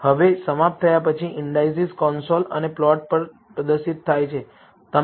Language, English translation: Gujarati, Now, after terminating the indices are displayed on the console and on the plot